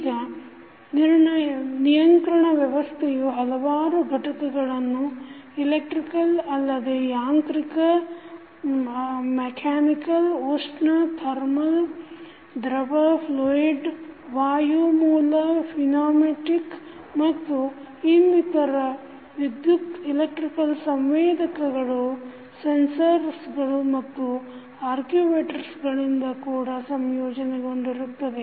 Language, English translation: Kannada, Now, the control system may be composed of various components, not only the electrical but also mechanical, thermal, fluid, pneumatic and other electrical sensors and actuators as well